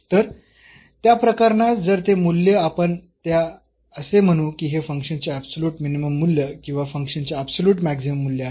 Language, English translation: Marathi, So, in that case if such a value we will call that we will call that this is the absolute minimum value of the function or the absolute maximum value of the function